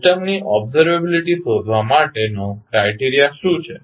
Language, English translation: Gujarati, What is the criteria to find out the observability of the system